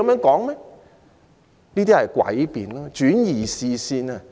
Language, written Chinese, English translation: Cantonese, 這些是詭辯，旨在轉移視線。, They are trying to divert attention by means of such sophistry